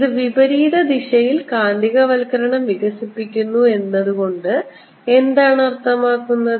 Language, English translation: Malayalam, if it develops magnetization in the opposite direction, what does it mean